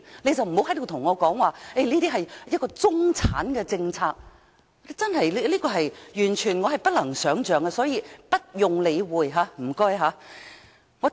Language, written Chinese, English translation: Cantonese, 所以，不要跟我說這是中產的政策，這是我完全不能想象，請不用理會他們的意見。, So please dont tell me this is a policy for the middle class . This is totally unimaginable . Please ignore their view